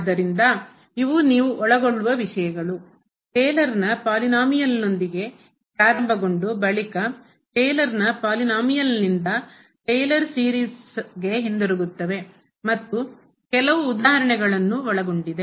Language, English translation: Kannada, So, these are the topics you will cover will start with the Taylor’s polynomial and then coming back to this Taylor series from the Taylor’s polynomial and some worked out examples